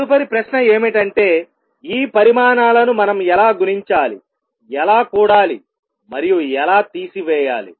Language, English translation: Telugu, The next question that arises is how do we multiply add subtract these quantities